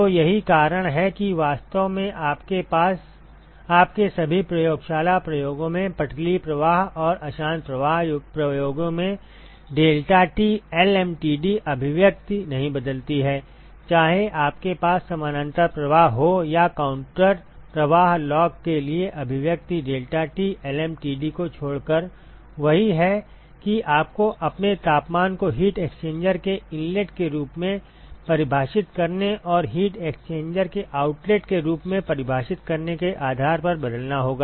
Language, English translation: Hindi, So, that is why in fact in all your lab experiments the laminar and turbulent flow experiments the deltaT lmtd the expression does not change, whether you had a parallel flow or a counter flow the expression for the log a delta T lmtd is the same except that you have to replace your temperatures based on, what you define as inlet to the heat exchanger and what you define as outlet of the heat exchanger